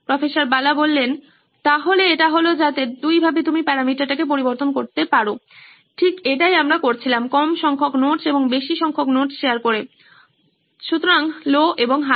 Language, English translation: Bengali, So this one, so then you can vary the parameter two ways, right that’s what we did low number of notes and high number of notes shared, so low and high